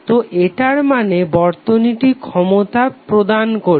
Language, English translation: Bengali, So it implies that the circuit is delivering power